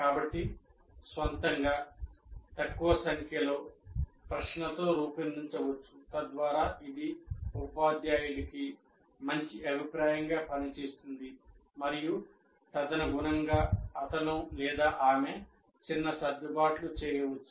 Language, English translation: Telugu, So one can design one's own form with small number of questions so that it acts as a good feedback to the teacher and he can make minor adjustments accordingly